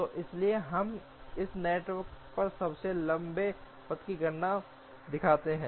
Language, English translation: Hindi, So let us just show the computation of a longest path on this network